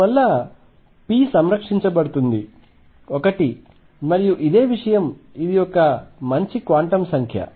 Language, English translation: Telugu, And therefore, p is conserved one and the same thing is a good quantum number